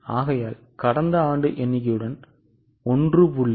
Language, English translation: Tamil, So, last year's figure into 1